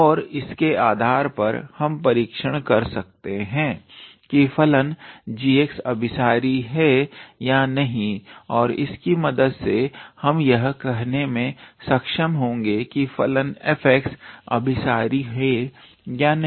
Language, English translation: Hindi, And based on that we can check whether the function g x is convergent or not and with the help of which we can be able to say that whether the function f x is convergent or not